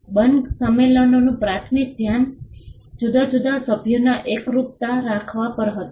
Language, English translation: Gujarati, The Berne conventions primary focus was on having uniformity amongst the different members